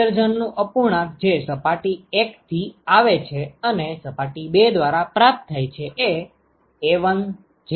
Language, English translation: Gujarati, The fraction of emission that comes from surface 1 and received by surface 2 is A1J1F12